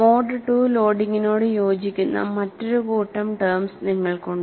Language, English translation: Malayalam, And you have another set of terms, which corresponds to mode 2 loading